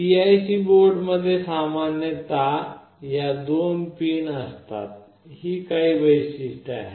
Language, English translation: Marathi, PIC board typically consists of these pins and these are some typical features